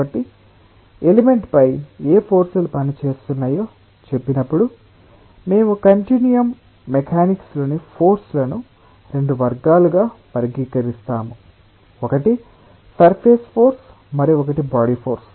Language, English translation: Telugu, so when we say what forces are acting on the element, we will be classifying the forces in continuum mechanics in two categories: one is a surface force, another is a body force